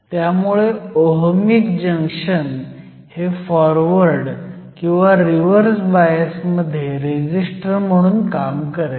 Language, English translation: Marathi, So, Ohmic Junction will behave as a resistor, under forward or reverse bias